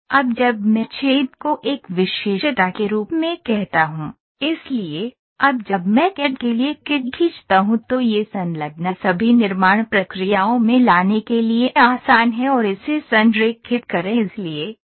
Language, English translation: Hindi, So, now when I say hole as a feature, so, now immediately when I draw the CAD for the CAM it is easy for bringing in all the manufacturing processes attached to it and align to it ok